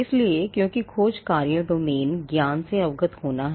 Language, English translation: Hindi, So, that because the searches task is to be aware of the domain knowledge